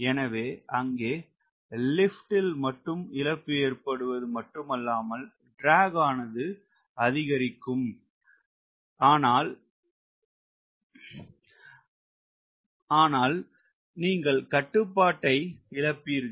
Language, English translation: Tamil, so not only there is a lot of lift increase ment in the drag, but you lose control as well